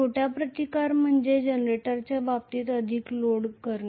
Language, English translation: Marathi, Smaller resistance means loading more, in the case of a generator